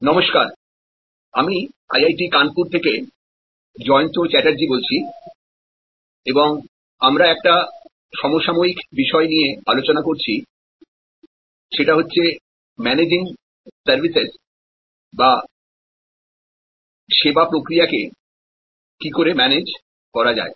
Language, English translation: Bengali, Hello, this is Jayanta Chatterjee from IIT, Kanpur and we are discussing Managing Services a Contemporary Issues